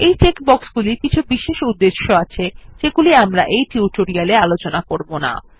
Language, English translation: Bengali, These check boxes are for special purposes, which we will not discuss in this tutorial